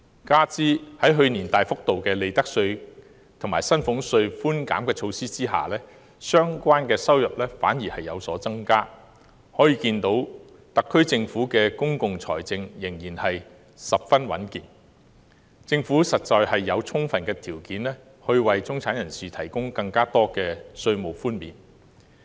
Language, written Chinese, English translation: Cantonese, 加上在去年推出大幅度的利得稅和薪俸稅寬減措施下，相關收入反而有所增加，由此可見特區政府的公共財政仍然十分穩健，實有充分條件為中產人士提供更多稅務寬免。, This coupled with the increase in revenue from profits tax and salaries tax despite the introduction of substantial relief measures last year indicates that the public finance of the SAR Government remains robust . It is actually well - placed to offer additional tax concessions to the middle class